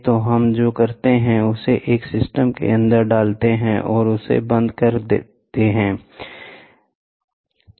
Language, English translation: Hindi, So, what we do is let us put it inside a system and close it, here and this is here, ok